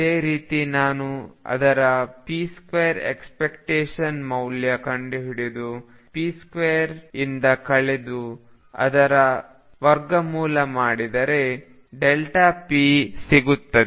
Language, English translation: Kannada, Similarly if I take p square expectation value of that, subtract the square of the expectation value of p and take square root this is delta p